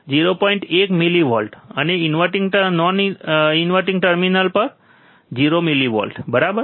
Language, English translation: Gujarati, 1 millivolts, and invert non inverting terminal 0 millivolts, right